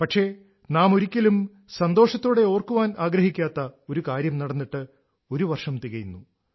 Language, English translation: Malayalam, However, it has been one year of one such incidentwe would never want to remember fondly